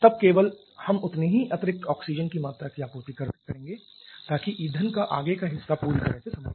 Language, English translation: Hindi, Then we shall be supplying only that quantity of additional oxygen so that that onward portion of the fuel gets completely exhausted or the other way